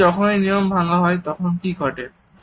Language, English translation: Bengali, But what happens when you break those rules